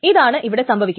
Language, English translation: Malayalam, So this is what is happening